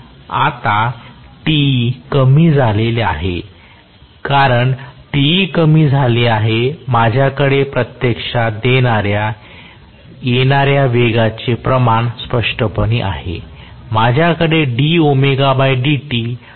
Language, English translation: Marathi, Now, Te has decreased, because Te has decreased, I am going to have clearly the amount of speed that is actually offered, I am going to have d omega by dt being negative